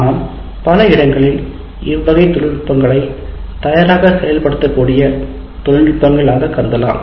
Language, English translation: Tamil, But let us say these are the technologies that can be considered for ready implementation in many places